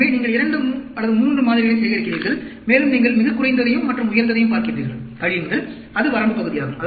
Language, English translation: Tamil, So, you collect 2, 3 samples, and you look at the lowest and the highest, subtract, that is the range part